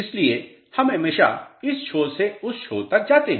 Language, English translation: Hindi, So, we traverse always from this end to this end